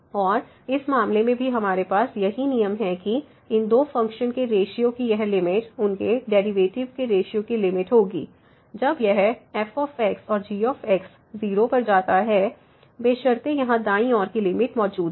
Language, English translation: Hindi, And, in this case also we have the same rule that this limit of the ratio of these two functions will be the limit of the ratio of their derivatives; when this and goes to 0 provided this right that the limit at the right hand side here this exists